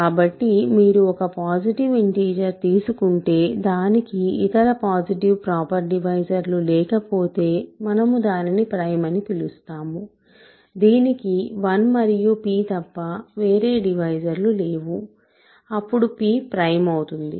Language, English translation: Telugu, So, you take a positive integer, we call it a prime if it has no other positive proper divisors, it has no divisors other than 1 and p; then p is prime